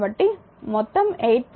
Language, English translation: Telugu, So, total will be 8